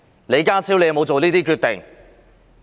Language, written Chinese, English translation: Cantonese, 李家超有否下這些決定？, Did John LEE make these decisions?